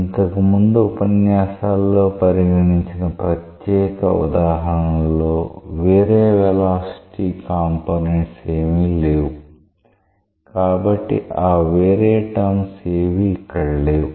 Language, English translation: Telugu, In that special example which we took up in our earlier lectures we consider there is no other velocity components; therefore, those other terms were not appearing